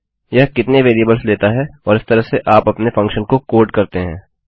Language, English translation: Hindi, How many variables it takes and this is how you code your function So, lets test that